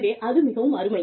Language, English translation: Tamil, So, that is very nice